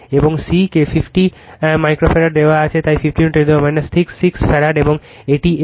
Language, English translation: Bengali, And C is given 50 micro farad, so 50 into 10 to the power minus 6 farad and it is L